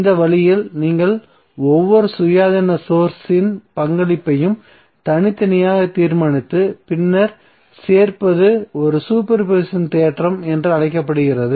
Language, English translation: Tamil, So in this way when you determine the contribution of each independence source separately and then adding up is called as a super position theorem